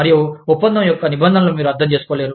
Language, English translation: Telugu, And, you are not able to understand, the terms of the contract